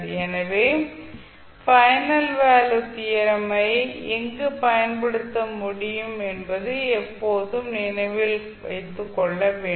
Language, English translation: Tamil, So you have to always keep in mind where you can apply the final value theorem where you cannot use the final value theorem